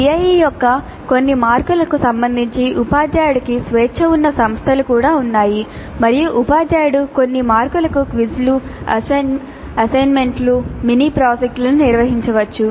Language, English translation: Telugu, There are also institutes where the teacher has freedom with respect to certain marks of the CIE and the teacher can administer quizzes, assignments, mini projects for certain marks